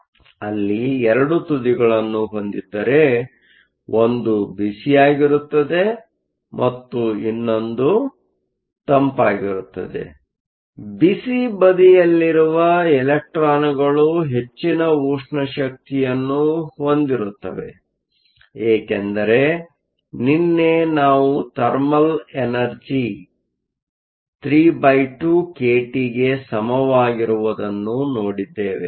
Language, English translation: Kannada, So, if we have 2 ends, one that is hot and one that is cold; electrons on the hot side have a higher thermal energy, because yesterday we saw the thermal energy is equal to 3 over 2 kt, which means higher the temperature, higher the thermal energy or higher the velocity